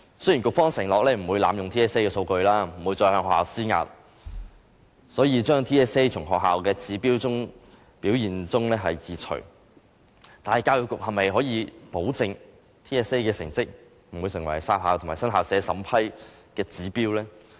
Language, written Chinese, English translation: Cantonese, 雖然局方承諾不會濫用 TSA 的數據，不會再向學校施壓，所以將 TSA 成績從學校表現指標中移除，但教育局能否保證 TSA 的成績不會成為"殺校"和新校舍審批的指標呢？, The Education Bureau has promised that it will neither manipulate the data collected from TSA nor pressurize schools and will remove TSA performance from the indicators of school performance but will it guarantee that TSA performance will not be used as an indicator in deciding whether a school will be closed and whether an application for building new school premises will be approved?